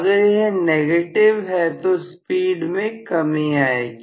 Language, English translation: Hindi, If this is negative speed will come down